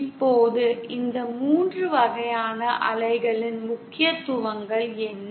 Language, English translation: Tamil, Now what are the significances of these 3 types of waves